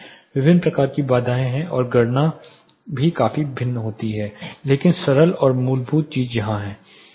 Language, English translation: Hindi, There are different types of barriers and the calculations also significantly vary, but simple you know the basic fundamental thing is here